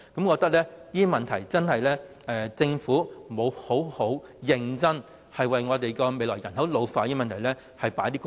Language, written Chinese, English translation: Cantonese, 我認為政府實在沒有認真的就香港未來人口老化的問題多下工夫。, I consider that the Government has not made any serious effort to tackle Hong Kongs ageing population problem